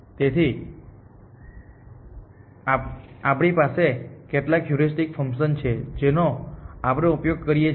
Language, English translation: Gujarati, So, we have some heuristic function that we use